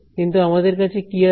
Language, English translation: Bengali, But what do we have with us